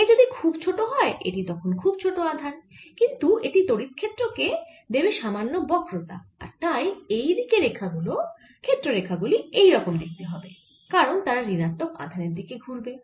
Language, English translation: Bengali, if k is close to one, it's a very small charge, but what it is going to give is little curvature to the electric field and therefore the electric field lines on this side are going to look like this because they are going to turn towards charge, the negative charge